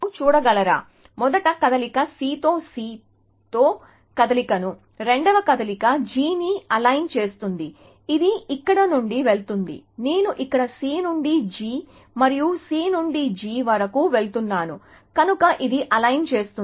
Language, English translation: Telugu, So, can you see that, the first move aligns C with C this move, the second move aligns G, it going from here; I am going from C to G and C to G here, so it aligns that